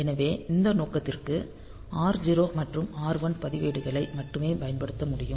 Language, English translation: Tamil, So, only the registers R0 and R1 can be used for this purpose